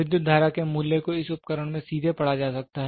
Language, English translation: Hindi, The value of the current can be directly read in this instrument